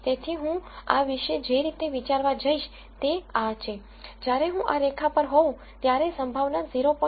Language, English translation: Gujarati, So, the way I am going to think about this is, when I am on this line I should have the probability being equal to 0